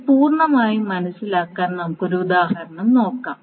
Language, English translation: Malayalam, Now let us just see an example to understand this completely